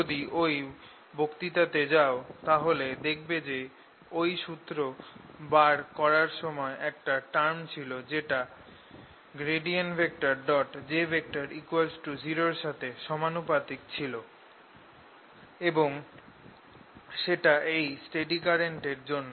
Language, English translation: Bengali, if you go back to that lecture you will notice that in deriving this formula along the way there was a term which was proportional to del dot j, which we said was zero because of this steady current